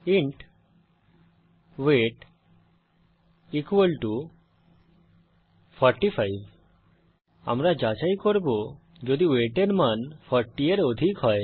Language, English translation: Bengali, int weight equal to 45 We shall check if the value in weight is greater than 40